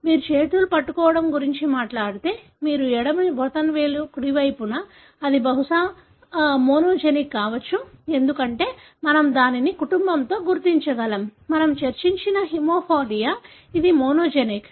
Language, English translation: Telugu, If you talk about hand clasping, that your left thumb over the right, that is probably monogenic, because we can trace it in the family; Haemophilia that we discussed, it is monogenic